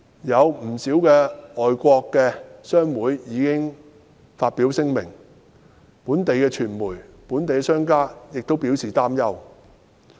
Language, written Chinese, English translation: Cantonese, 不少外國商會已先後發表聲明，本地傳媒和商人亦表示擔憂。, A number of foreign chambers of commerce have issued statements one after another and the local media and businessmen have also expressed their concern